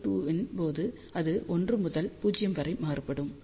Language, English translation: Tamil, So, when n is equal to 2 it varies from 1 to 0